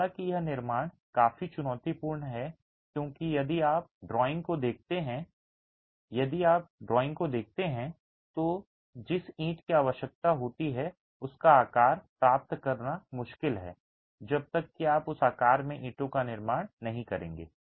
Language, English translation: Hindi, However, this construction is quite challenging because if you look at the drawing, if you look at the drawing, the shape of the brick that you require is rather difficult to achieve unless you are going to be manufacturing the brick in that shape